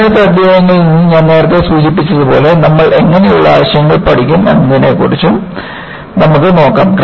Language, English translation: Malayalam, It is like, what I mentioned earlier for selected chapters, we will also have a look at, what kind of concepts that, we would learn